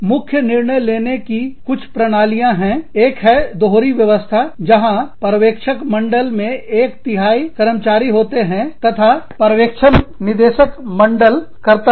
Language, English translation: Hindi, Some systems of core decision making is, one is the dual system, where the supervisory board consists of one third employees, and supervises the board of directors